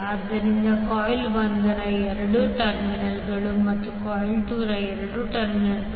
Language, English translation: Kannada, So two terminals of coil 1 and two terminal of coil 2